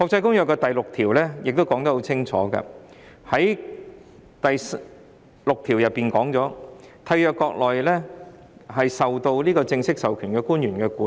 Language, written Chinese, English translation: Cantonese, 《公約》第六條亦清楚說明，這些集裝箱應在締約國領土內受該締約國正式授權的官員管理。, Article VI of the Convention also clearly states that these containers shall be subject to control in the territory of the Contracting Parties by officers duly authorized by such Contracting Parties